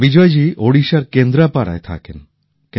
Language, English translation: Bengali, Bijayji hails from Kendrapada in Odisha